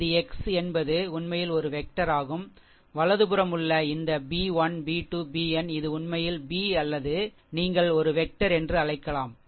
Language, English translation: Tamil, And this is x is actually n into 1 vector ah right hand side this b 1 b 2 b n it is actually b or what you call n into 1 vector, right